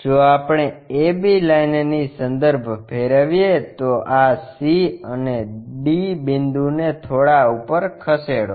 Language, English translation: Gujarati, If we are rotating about A B line, lifting up this C and D bit up